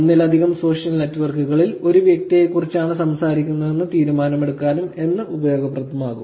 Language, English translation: Malayalam, You could also be useful for making decisions on whether it is the same person talking about in multiple social networks